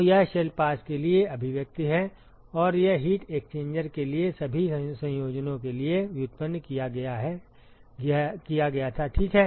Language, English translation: Hindi, So, that is the expression for one shell pass and this was been derived for all combinations of heat exchanger, ok